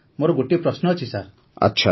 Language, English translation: Odia, Sir, I have a question sir